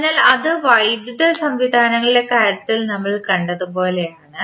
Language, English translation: Malayalam, So, if you see it is similar to what we saw in case of electrical systems